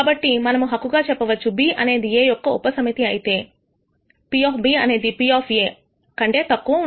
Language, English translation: Telugu, So, we can claim that if B is a subset of A, then the probability of B should be less than the probability of A